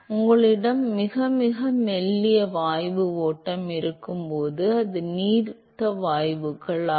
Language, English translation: Tamil, It is dilute gasses when you have very, very thin gas stream